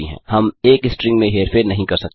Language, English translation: Hindi, We cannot manipulate a string